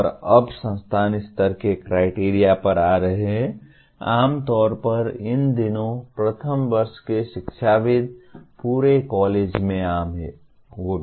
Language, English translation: Hindi, And now coming to institute level criteria, generally these days first year academics is kind of common across the college